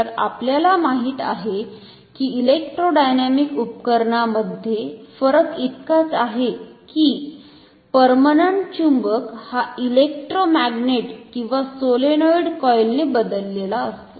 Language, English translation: Marathi, So, we know that in an electrodynamic instrument the difference is that the permanent magnet is replaced by electromagnets or solenoids coils